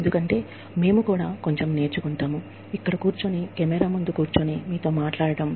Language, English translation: Telugu, Because, we also learn quite a bit, sitting here, sitting in front of a camera, talking to you